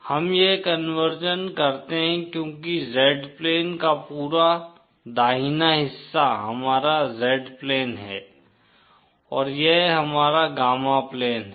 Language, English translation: Hindi, We do this conversion because the entire right half of the Z plain this is our Z plain and this is our gamma plain